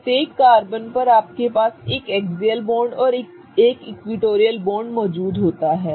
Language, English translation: Hindi, On each carbon you have one axial bond and one equatorial bond present